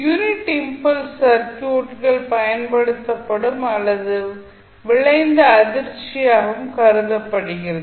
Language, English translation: Tamil, Now, unit impulse can also be regarded as an applied or resulting shock into the circuit